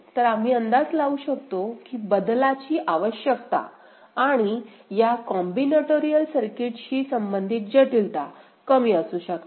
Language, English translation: Marathi, So, we can guess that the requirement for changing and the complexity related to this combinatorial circuit, they may be less ok